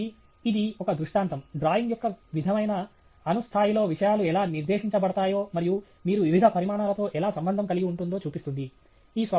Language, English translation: Telugu, So, this is a illustration, sort of a drawing which shows you at an atomic level how things are laid out and how you can relate to various quantities